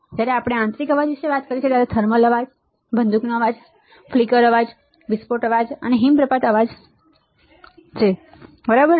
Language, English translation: Gujarati, When we talk about internal noise, there are thermal noise, short noise, flicker noise, burst noise and avalanche noise all right